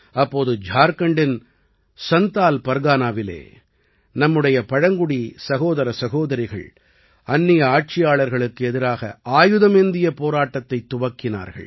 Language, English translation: Tamil, Then, in Santhal Pargana of Jharkhand, our tribal brothers and sisters took up arms against the foreign rulers